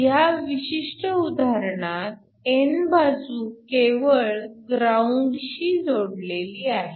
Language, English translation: Marathi, In this particular example the n side is just grounded